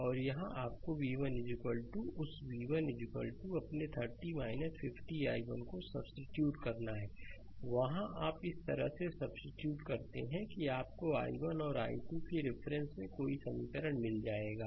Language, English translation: Hindi, And here you have to substitute v 1 is equal to that v 1 is equal to your 30 minus 5 i 1 there you substitute such that you will get any equation in terms of i 1 and i 2 right